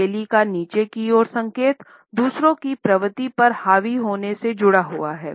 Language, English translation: Hindi, A downwards indication of palm is associated with the tendency to dominate others